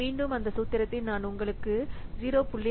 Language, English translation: Tamil, Again, that formula we have told you, 0